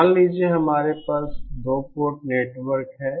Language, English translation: Hindi, e Suppose we have a 2 port network